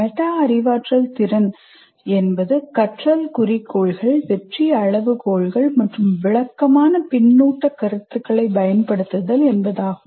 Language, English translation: Tamil, Metacognitive ability means using learning goals, success criteria, and descriptive feedback